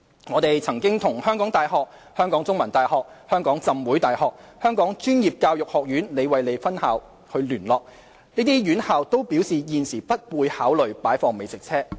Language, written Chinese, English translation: Cantonese, 我們曾與香港大學、香港中文大學、香港浸會大學、香港專業教育學院聯絡，這些院校均表示現時不會考慮擺放美食車。, We had liaised with the University of Hong Kong The Chinese University of Hong Kong the Hong Kong Baptist University and the Hong Kong Institute of Vocational Education and these colleges indicated no intention to accommodate food trucks at present